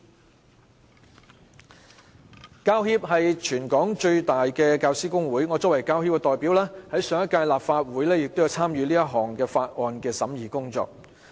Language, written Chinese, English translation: Cantonese, 香港教育專業人員協會是全港最大的教師工會，我作為其代表，在上屆立法會亦有參與《2016年條例草案》的審議工作。, The Hong Kong Professional Teachers Union is the largest trade union for teachers in Hong Kong . Being its representative I also took part in scrutinizing the 2016 Bill in the last Legislative Council